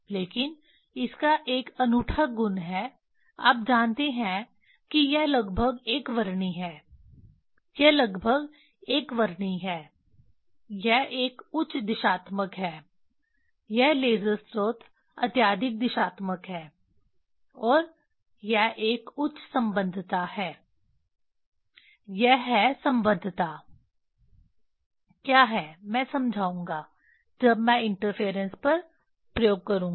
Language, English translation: Hindi, But it has unique property you know it is a nearly monochromatic, it is nearly monochromatic it is a high directional this laser source is highly directional and it is a highly coherence; it is a; what is coherence I will explain when I will do the interference experiment